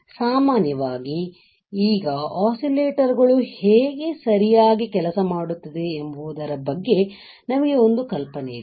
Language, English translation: Kannada, In general, now we have an idea of how oscillators would work right